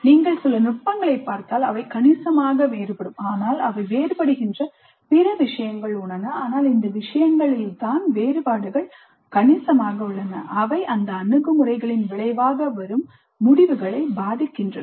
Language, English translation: Tamil, If you look at some of the points in which they differ substantially there are many other issues where they differ but these are the issues on which the differences are substantial and they do influence the outcomes that result from these approaches